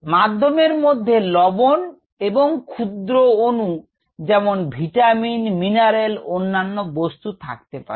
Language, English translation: Bengali, the medium could contain trace nutrients such as vitamins, minerals and so on